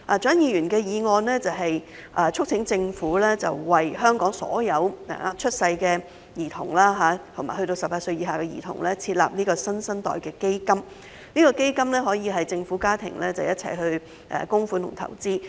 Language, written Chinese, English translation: Cantonese, 蔣議員的議案是促請政府為本港所有新生嬰兒及18歲以下兒童設立"新生代基金"，該基金可由政府及家庭共同供款和投資。, The motion of Dr CHIANG seeks to urge the Government to set up a New Generation Fund for all newborns and children under the age of 18 in Hong Kong which can be created through joint contributions and investment from the Government and families